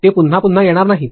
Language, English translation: Marathi, They are not going to come again and again